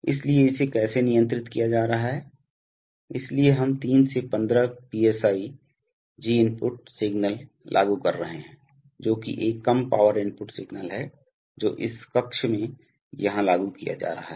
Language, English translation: Hindi, So how it is being controlled, so we are applying a 3 to 15 PSIG input signal which is a low power input signal that is being applied here in this chamber